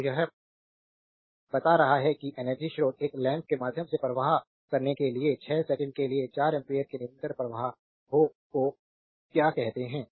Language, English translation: Hindi, So, it is telling that energy source forces your what you call a constant current of 4 ampere for 6 second to flow through a lamp right